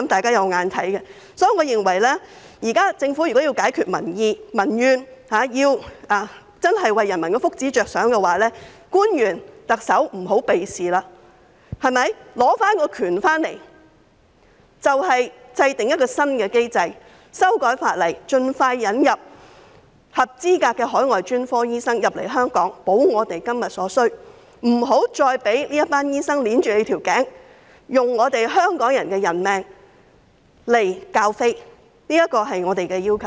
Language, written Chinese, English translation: Cantonese, 所以，我認為政府現在若要消除民怨，為人民的福祉着想，特首和官員不要再迴避此事，應該取回主導權，制訂一項新機制，修改法例，盡快引入合資格的海外專科醫生來港，以滿足我們今天所需，不要再"揸頸就命"，任由這些醫生拿香港人的性命作賭注，這是我們的要求。, Hence in my view if the Government now wishes to allay public grievances and work for the well - being of the people the Chief Executive and the officials should stop evading this matter . They should regain control formulate a new mechanism and amend the legislation for expeditious admission of qualified overseas specialists to Hong Kong so as to meet our present needs . They should stop compromising and allowing such doctors to put the lives of Hongkongers at stake